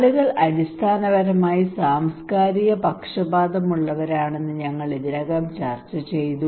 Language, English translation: Malayalam, So this is fine we discussed already that people are basically culturally biased